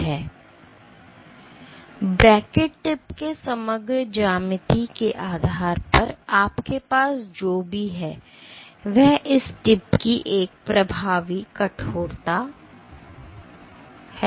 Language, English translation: Hindi, So, based on the overall geometry of the cantilever tip, what you also have is an effective stiffness of this tip ok